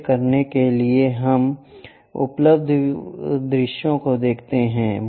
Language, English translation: Hindi, To do that let us look at the views available